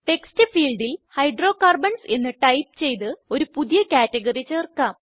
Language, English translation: Malayalam, Lets add a new Category, by typing Hydrocarbons in the text field